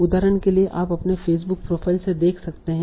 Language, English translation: Hindi, Example also you can see from your Facebook profile